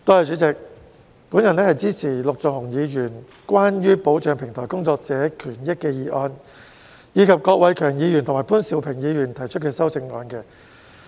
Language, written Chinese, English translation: Cantonese, 主席，我支持陸頌雄議員提出"保障平台工作者的權益"的議案，以及郭偉强議員及潘兆平議員提出的修正案。, President I support the motion on Protecting the rights and interests of platform workers moved by Mr LUK Chung - hung and the amendments proposed by Mr KWOK Wai - keung and Mr POON Siu - ping